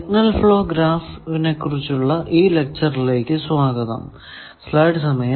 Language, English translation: Malayalam, Welcome to this lecture on Signal Flow Graph